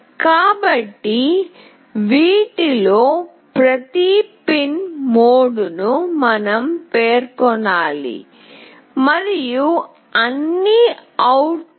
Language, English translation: Telugu, So, we have to specify the pin mode of each one of these and all are output